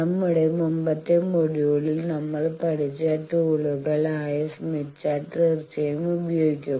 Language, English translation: Malayalam, And we will be using obviously, the tools that we have learnt in our earlier module that is the Smith Chart